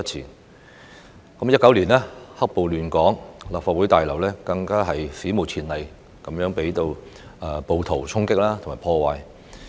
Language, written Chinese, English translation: Cantonese, 2019年，"黑暴"亂港，立法會大樓更史無前例的遭到暴徒衝擊及破壞。, In 2019 Hong Kong was plagued by the black - clad violence during which the Legislative Council Complex was stormed and vandalized by rioters for the first time in history